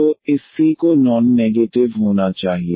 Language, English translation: Hindi, So, this c has to be non negative